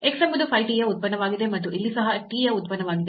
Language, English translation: Kannada, So, x is a function of a phi t and here y is also a function of t which we are denoting by psi t